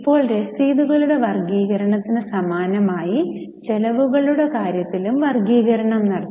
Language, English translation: Malayalam, Now, the expenditure on classification, the expenditure classification was also done similar to classification of receipts